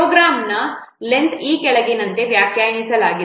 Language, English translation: Kannada, The length of a program is defined as follows